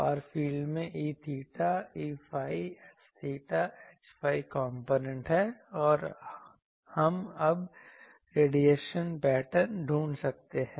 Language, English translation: Hindi, Far field has E theta, E phi components and H theta, H phi components and we can now find the radiation patterns